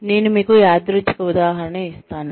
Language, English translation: Telugu, I will just give you a random example